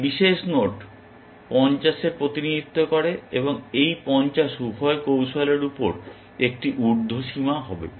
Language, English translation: Bengali, This particular node 50 represents, and this 50 would be an upper bound on both those strategies